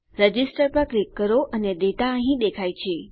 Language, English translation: Gujarati, Click on Register and my data has been shown here